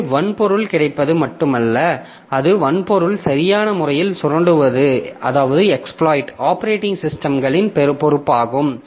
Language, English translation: Tamil, So, it is the operating system's responsibility to exploit that hardware in a proper fashion